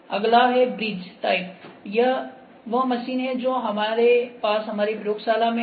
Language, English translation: Hindi, Next is bridge type is the machine that we have in our laboratory